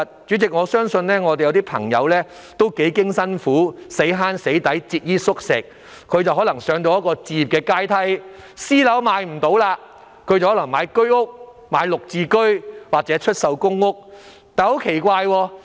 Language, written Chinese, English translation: Cantonese, 主席，有些市民幾經辛苦，節衣縮食，終能攀上置業階梯，不能買私樓的話，便買居屋、綠置居或出售公屋。, President many people have after much hard work and living frugally finally managed to buy their own homes . If they cannot afford to buy private flats they will buy flats sold under the Home Ownership Scheme the Green Form Subsidised Home Ownership Scheme or the Tenants Purchase Scheme